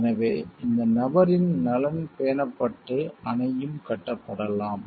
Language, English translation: Tamil, So, that this person’s interest is maintained and also the dam could be done